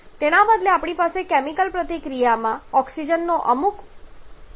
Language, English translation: Gujarati, Rather we may have some additional amount of oxygen present in the chemical reaction